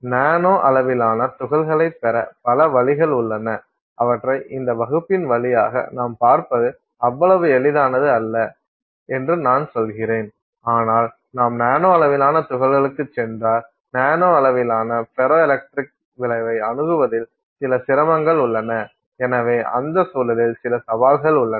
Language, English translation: Tamil, I mean there are many ways you can get nanosized particles but if you go to the nanosized particles typically there is some difficulty in then accessing the ferroelectric effect at the nanoscale and therefore there are some challenges in that context